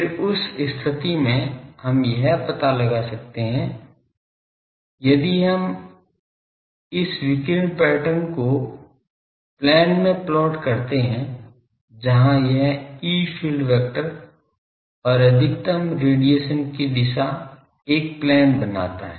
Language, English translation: Hindi, Then in that case we can find that the, if we plot this radiation pattern in the plane where this E field vector and the direction of maximum radiation that makes a plane